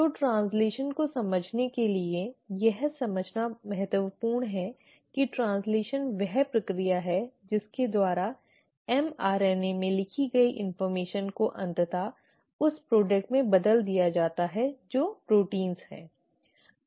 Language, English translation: Hindi, So to understand translation it is important to understand that translation is the process by which the information which is written in mRNA is finally converted to the product which are the proteins